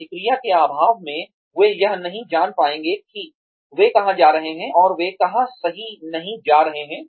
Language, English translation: Hindi, In the absence of feedback, they will not be able to know where they are going right and where they are not going right